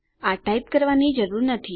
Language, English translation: Gujarati, No need to type them out